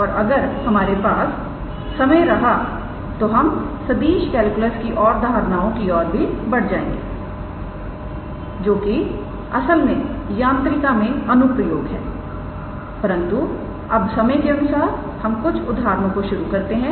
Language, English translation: Hindi, And we will see if we have some time then we can move on to our next aspect of vector calculus which is application to mechanics, but for the time being let us start with some examples alright